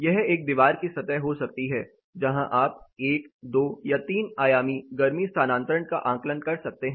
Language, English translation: Hindi, This can be a wall surface where you can assess 1 dimensional, 2 dimensional or 3 dimensional heat transfers